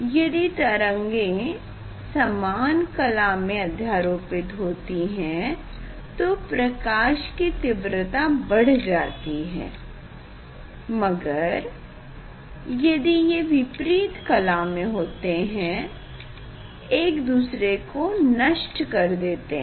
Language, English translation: Hindi, If they come in phase so that will be that will increase the intensity of light, if they come in opposite phase, they destroy each other